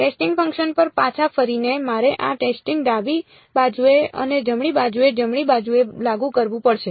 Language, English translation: Gujarati, Getting back to the testing function, I have to take the apply this testing to both the left hand side and the right hand side right